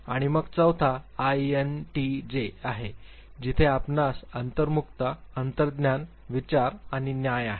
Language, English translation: Marathi, And then the fourth one is INTJ where you have introversion, intuition, thinking and judging